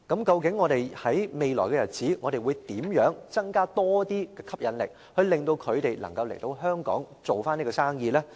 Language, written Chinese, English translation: Cantonese, 究竟我們在未來日子應如何吸引投資者來港建立飛機租賃業務呢？, In that case how can we induce investors to set up aircraft leasing business in Hong Kong in the future?